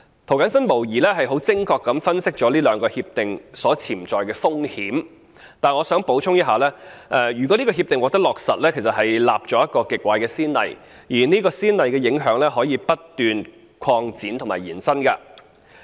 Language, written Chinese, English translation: Cantonese, 涂謹申議員無疑是很精確地分析了這兩項協定的潛在風險。但是，我想補充一點：如果這項協定獲得落實，將會立下一個極壞的先例，而這個先例的影響還可以不斷擴展及延伸。, While Mr James TO has indeed been incisive in analysing the potential risks of the two Agreements there is one point I wish to add the implementation of such agreements will set an extremely bad precedent which impacts may continue to expand and extend